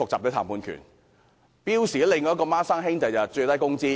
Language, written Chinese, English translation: Cantonese, 標準工時的"雙生兒"是最低工資。, A twin of standard working hours is minimum wage